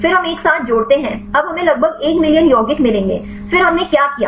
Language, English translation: Hindi, Then we add up together, now we will get about 1 million compounds; then what we did